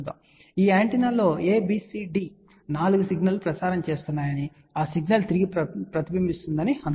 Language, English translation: Telugu, So, let us say these ABCD 4 of these antennas are transmitting signal, and then that signal is reflected back